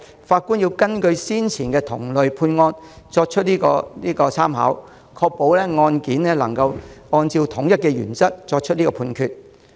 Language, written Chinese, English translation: Cantonese, 法官必須參考先前同類案件的判決結果，確保能夠按照統一的原則作出判決。, Judges must refer to the judgments of similar cases in the past to ensure that their judgments are made according to the same principles